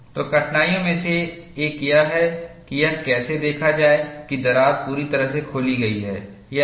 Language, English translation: Hindi, So, one of the difficulties is, how to see whether the crack is fully opened or not